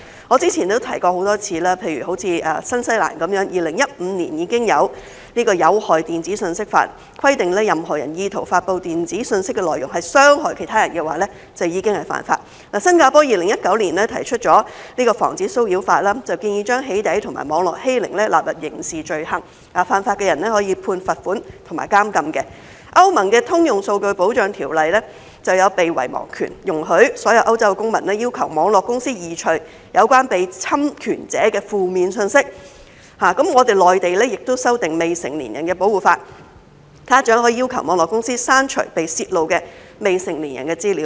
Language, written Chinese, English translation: Cantonese, 我之前曾多次提出，新西蘭在2015年已經有《有害電子信息法》，規定若任何人意圖發布電子信息的內容是傷害其他人，便已屬犯法；新加坡在2019年提出《防止騷擾法》，建議把"起底"和網絡欺凌納入刑事罪行，犯法的人可被判罰款和監禁；歐盟的《通用數據保障條例》就有"被遺忘權"，容許所有歐洲公民要求網絡公司移除有關被侵權者的負面信息；內地亦修訂未成年人保護法，家長可要求網絡公司刪除被泄露的未成年人的資料。, In 2019 Singapore introduced the Protection from Harassment Act and proposed to criminalize doxxing and cyberbullying with offenders liable to fines and imprisonment . Under the General Data Protection Regulation of the European Union there is a right to be forgotten which allows all European citizens to request online companies to remove negative messages about the infringed person . The Mainland has also amended its Law on the Protection of Minors which allows parents to request online companies to delete the leaked data of minors